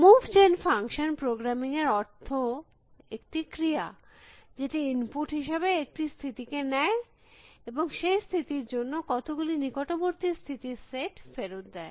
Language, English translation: Bengali, The move gen function is the function in the programming sense, that it takes as input a state and returns the set of neighbors for that state essentially